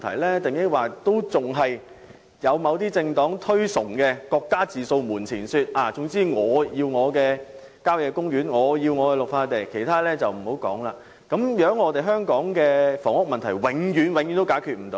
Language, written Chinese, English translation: Cantonese, 抑或有人認為應採取某些政黨所推崇"各家自掃門前雪"的做法，總之"我要我的郊野公園，我要我的綠化地"，其他的便無須多說，這樣香港的房屋問題將永遠無法解決。, Or should the approach of minding ones own business advocated by certain political parties be adopted leaving no room for negotiation? . As such A wants country parks and B wants green belts then the housing problem in Hong Kong can never be resolved